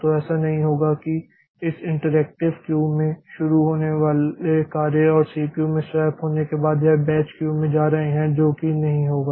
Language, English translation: Hindi, So, it will not happen that a job starting at this interactive queue and it is going to the batch queue after being swapped out from the CPU